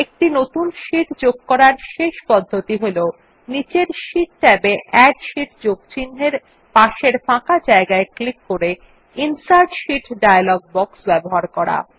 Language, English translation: Bengali, The last method of inserting a new sheet by accessing the Insert Sheet dialog box is by simply clicking on the empty space next to the Add Sheet plus sign in the sheet tabs at the bottom